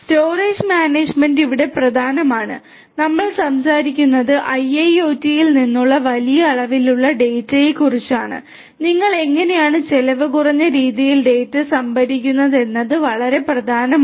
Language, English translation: Malayalam, Storage management is important here we are talking about large volumes of data coming from IIoT, how do you store the data in a cost efficient manner is very important